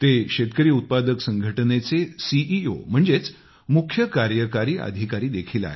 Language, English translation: Marathi, He is also the CEO of a farmer producer organization